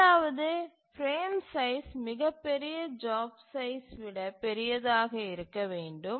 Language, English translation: Tamil, The second is that the frame size must be larger than the largest job size